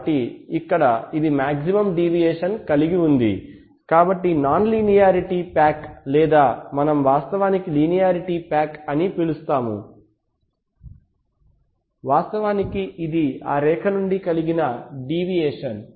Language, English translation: Telugu, So here it has the maximum deviation, so the non linearity pack or which is we actually refer to as a linearity pack is actually deviation from that line right